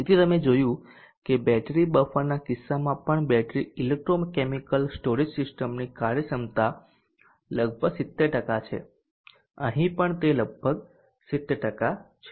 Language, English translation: Gujarati, So you saw that even in the case of the battery buffer the efficiency of the battery electrochemical storage system is around 70 percent here also it is around 70 percent